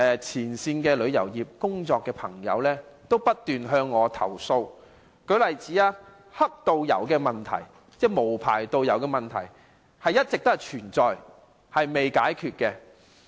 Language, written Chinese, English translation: Cantonese, 前線旅遊業從業員過去數年不斷向我投訴，若干問題如"黑導遊"等一直存在，仍未解決。, Over the past few years frontline practitioners in the tourism industry have complained to me incessantly about some long - standing problems such as unlicensed tour guides